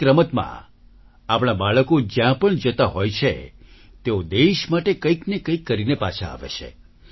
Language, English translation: Gujarati, In every game, wherever our children are going, they return after accomplishing something or the other for the country